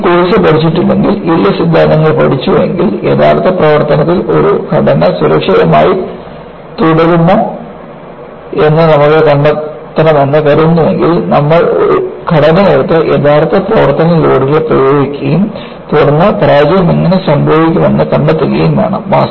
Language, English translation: Malayalam, See, if you are not learned this course, and learn the yield theories, suppose, you want to find out, whether a structure will remain safe in the actual operating, then you have to take the structure and apply the actual service loads and then, will may find out, how the failure will occur